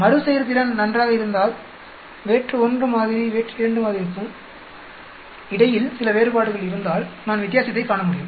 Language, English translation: Tamil, If the repeatability is good, then if there is some variations between sample 1 and sample 2 then I will be able to see the difference